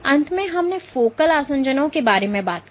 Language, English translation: Hindi, And lastly, we spoke about focal adhesions